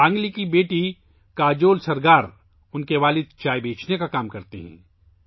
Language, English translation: Urdu, Sangli's daughter Kajol Sargar's father works as a tea vendor